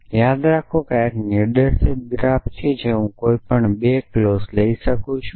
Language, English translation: Gujarati, So, remember this is a directed graph I can take any 2 clauses